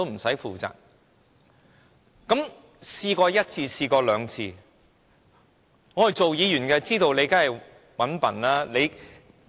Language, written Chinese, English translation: Cantonese, 事情發生過一次、兩次，我們身為議員當然知道你是"搵笨"的。, This happens repeatedly . We Legislative Council Members of course know your tricks only too well